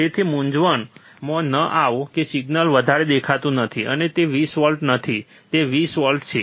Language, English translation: Gujarati, So, do not get confuse that the signal is not looking higher and it is not 20 volt it is 20 volts